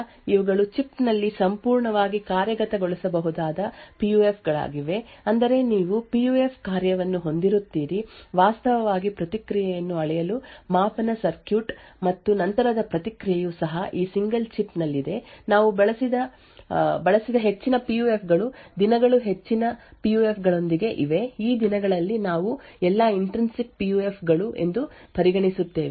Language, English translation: Kannada, So, these are PUFs which can be completely implemented within a chip that is you would have a PUF function, the measurement circuit to actually measure the response and also, post processing is also, present within that single chip, most PUFs that we used these days are with most PUFs which we actually consider these days are all Intrinsic PUFs